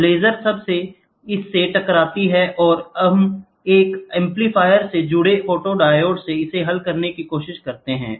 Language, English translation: Hindi, So, the laser hits from this we try to resolve from the photodiode we connected to an amplifier